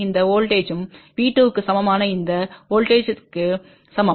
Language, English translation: Tamil, This voltage is same as this voltage which is equal to V 2